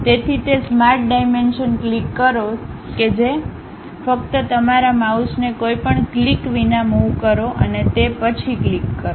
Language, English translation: Gujarati, So, click that Smart Dimension click that, just move your mouse without any click then click that